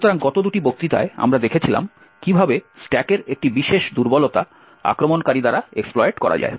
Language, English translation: Bengali, So, in the last two lectures we had actually looked at how one particular vulnerability in the stack can be exploited by the attacker